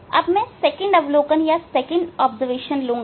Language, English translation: Hindi, Now, I will go for second observation